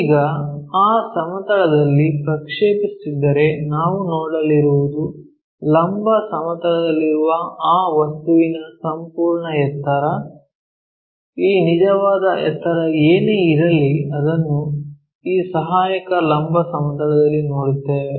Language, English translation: Kannada, Now, if we are projecting onto that plane what we are going to see is the complete height of that object on the vertical plane, whatever that true height that we will see it on this auxiliary vertical plane